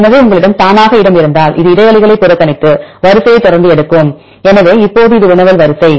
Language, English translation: Tamil, So, if you have space automatically this will ignore spaces and take the sequence continuously